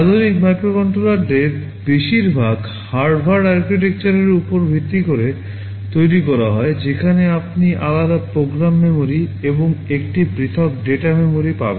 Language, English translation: Bengali, Most of the modern microcontrollers are based on the Harvard architecture, where you will be having a separate program memory and a separate data memory